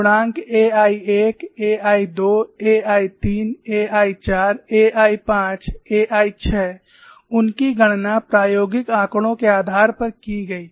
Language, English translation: Hindi, The coefficients a 11, a 12, a 13, a 14, a 15, a 16, they were calculated based on the experimental data